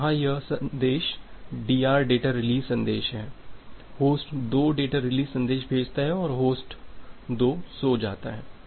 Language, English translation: Hindi, So, here it is DR data release message, host 2 sends the data release message and host 2 goes to sleep